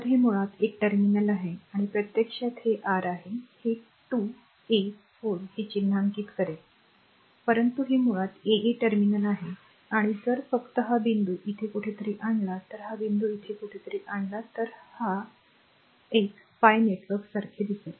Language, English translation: Marathi, So, it is basically 3 terminal and one this is actually this your this is 2 3 4 this will mark, but this is basically a 3 terminal and if you just if you just bring this point to somewhere here and bring this point to somewhere here, this look like a your pi network